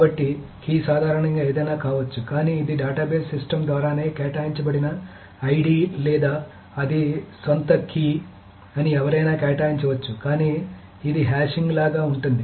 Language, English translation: Telugu, So it's the key can be generally anything where it is ID either assigned by the database system itself or one can assign its own key but it's more like a hashing